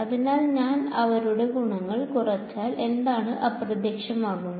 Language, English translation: Malayalam, So, if I subtract them the advantages what vanishes